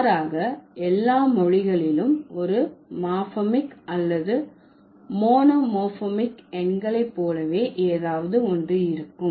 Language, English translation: Tamil, Rather, all languages will have something or the other as far as morphem like one morphem or monomorphic numerals are concerned